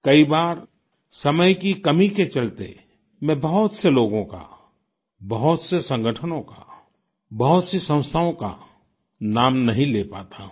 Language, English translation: Hindi, Many a time, on account of paucity of time I am unable to name a lot of people, organizations and institutions